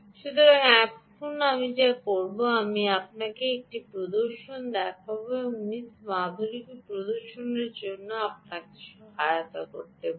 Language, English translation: Bengali, i will show you a demonstration, ok, and to demonstrate this, miss madhuri, we will assist me